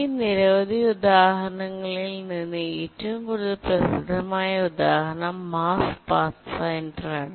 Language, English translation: Malayalam, Out of these many examples, possibly the most celebrated example is the Mars Pathfinder